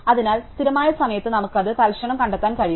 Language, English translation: Malayalam, So, we can instantly find it in constant time